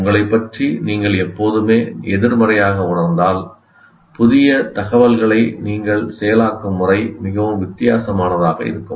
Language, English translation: Tamil, If you feel all the time negative about yourself, the way you will process new information will be very different